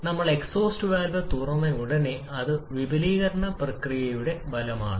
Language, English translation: Malayalam, But as soon as we open the exhaust valve that is virtually the end of the expansion process